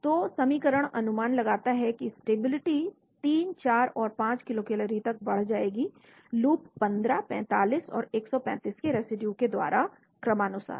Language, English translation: Hindi, So the equation predicts the stability will be increased by 3, 4 and 5 kilocalories by loops 15, 45 and 135 residues respectively